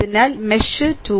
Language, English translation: Malayalam, So, mesh 2